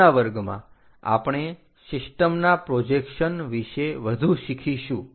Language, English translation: Gujarati, In the next class, we will learn more about projections of the system